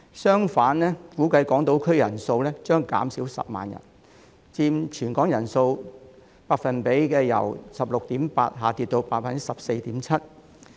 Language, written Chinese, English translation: Cantonese, 相反，港島區人數將估計減少10萬人，佔全港人口百分比將由 16.8% 下跌至 14.7%。, On the contrary the number of residents on Hong Kong Island is estimated to decrease by 100 000 and its percentage in the total population will drop from 16.8 % to 14.7 %